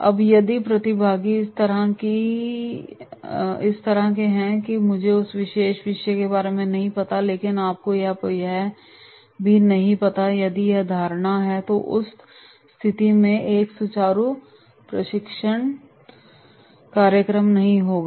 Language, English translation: Hindi, Now if the participants are like this that is “I do not know about that particular topic but you also do not know” if there is this perception then in that case also there will not be a smooth training program